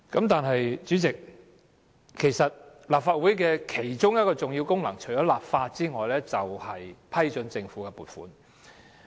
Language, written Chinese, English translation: Cantonese, 但是，主席，立法會的其中一項重要功能，除立法外，便是批准政府的撥款。, However President apart from enacting laws one of the important functions of the Legislative Council is to approve public expenditures